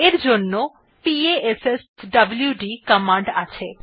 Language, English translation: Bengali, For this we have the passwd command